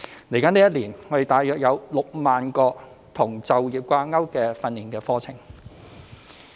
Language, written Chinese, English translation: Cantonese, 未來一年，我們大約有6萬個與就業掛鈎的訓練課程名額。, We will provide approximately 60 000 places of placement - tied training courses in the coming year